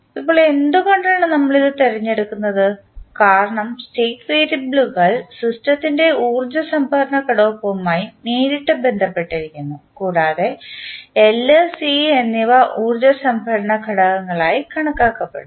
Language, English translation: Malayalam, Now, why we are choosing this because the state variables are directly related to energy storage element of the system and in that L and C are considered to be the energy storage elements